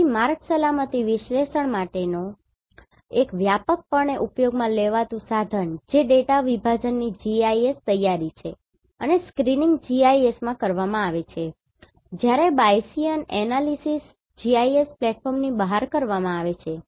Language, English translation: Gujarati, So one of the widely used tool for Road Safety Analysis that is GIS preparation of data segmentation and screening is done in GIS whereas, Bayesian Analysis is done outside GIS platform